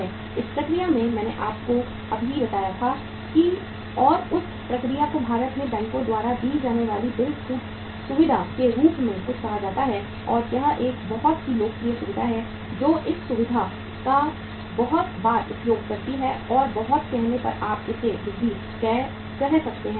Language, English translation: Hindi, In the process, I just I told you and that process is called as the bill discounting facility given by the banks in India and it is a very very popular facility make use of this facility very frequently and at the very say you can call it as increased level